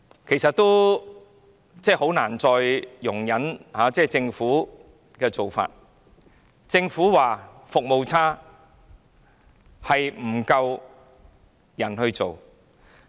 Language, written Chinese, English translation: Cantonese, 我真的很難再容忍政府的做法，政府說服務差是因為人手不足。, It is really difficult for me to put up with the Governments practices anymore . The Government said that the services are bad due to a shortage of manpower